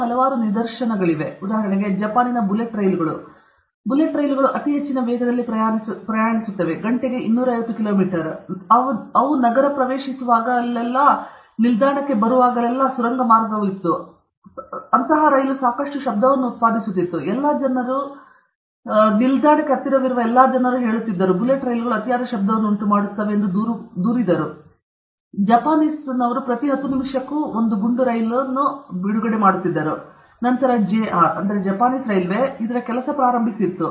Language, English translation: Kannada, There are several other instances, for example, the Japanese bullet trains; the bullet trains travel at a very high velocities 250 kilometers per hour and all that; whenever they are entering a city, whenever they are entering a station, that tunneling effect is there, they used to produce a lot of noise, and all the people close to station, they complained that the bullet trains are generating excessive noise, and in Japanese, every 10 minutes there is a bullet train okay, and then, JR Japanese Railway started working on this